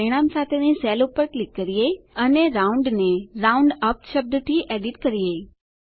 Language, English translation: Gujarati, Lets click on the cell with the result and edit the term ROUND to ROUNDUP